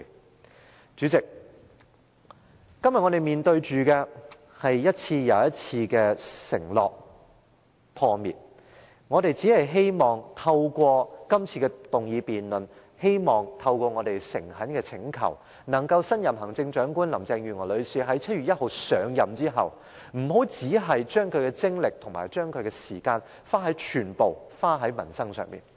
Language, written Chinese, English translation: Cantonese, 代理主席，今天我們面對的是一次又一次的承諾破滅，我們只希望透過這次議案辯論，透過我們的誠懇請求，能令新任行政長官林鄭月娥女士在7月1日上任後，不要只把精力和時間全部用在民生議題上。, Deputy President what we are facing today is the breaking of one promise after another and we only hope that through the debate on this motion and our earnest requests the new Chief Executive Mrs Carrie LAM would not spend all her efforts and time on livelihood issues only after she has taken office on 1 July